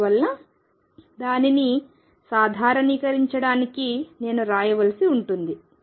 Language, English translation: Telugu, And therefore, to normalize it, I have to write